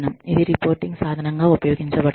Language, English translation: Telugu, It is used as a reporting tool